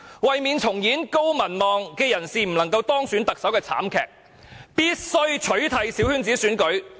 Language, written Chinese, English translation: Cantonese, 為免重演高民望人士不能夠當選特首的慘劇，必須取締小圈子選舉。, In order not to repeat the tragedy of a person having high popularity not being elected as the Chief Executives we must abolish the small - circle election